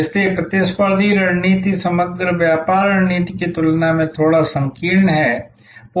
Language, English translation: Hindi, So, competitive strategy therefore, is a bit narrower in scope compare to the overall business strategy